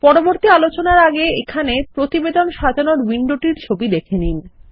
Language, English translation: Bengali, Before we move on, here is a screenshot of the Report design window